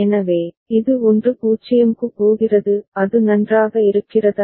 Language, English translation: Tamil, So, it is going to 1 0; is it fine